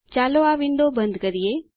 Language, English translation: Gujarati, Let us close this window